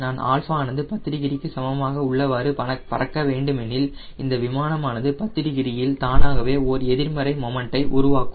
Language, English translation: Tamil, that means what, if i want to fly at alpha equal to ten degree, this aero plane at ten, it will generate automatically and negative moment